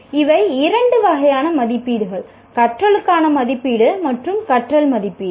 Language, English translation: Tamil, So these are the two types of assessments, assessment for learning and assessment of learning